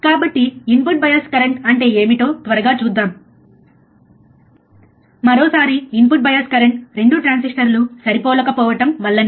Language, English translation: Telugu, So, let us quickly see what is what is the input bias current, once again input bias current like we say is due to non matching of 2 transistors